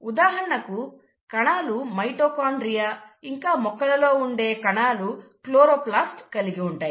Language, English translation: Telugu, For example, the cell has mitochondria, the cell; in case of plants will have a chloroplast